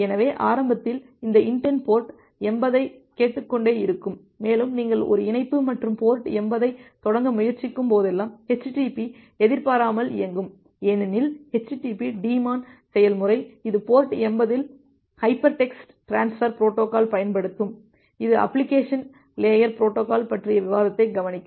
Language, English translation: Tamil, So, initially this inetd keeps on listening on port 80 and whenever you try to initiate a connection and port 80, then httpd pops up, because http httpd daemon process, which will use hypertext transfer protocol at port 80, that will have looked into the discussion of application layer protocol